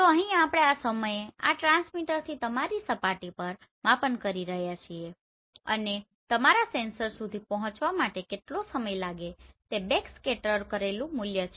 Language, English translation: Gujarati, So here we are measuring this time from this transmitter to your surface and how much time it is taking to reach to your sensor the backscattered value